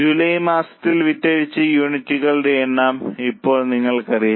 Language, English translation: Malayalam, Now you know the number of units sold in the month of July